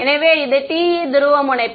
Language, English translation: Tamil, So, this is at TE polarization right